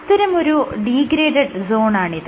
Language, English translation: Malayalam, Let us say this is the degraded zone